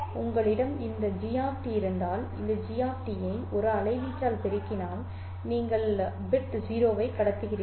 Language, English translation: Tamil, Then if you have this G of t and multiply this G of t by 1, you are allowed, you are transmitting bit 0